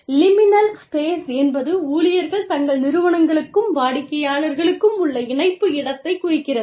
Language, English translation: Tamil, Liminal space refers to the, space between the connection employees have, to their organizations and their clients